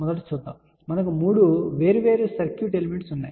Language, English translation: Telugu, First let us just see, we have 3 different circuit element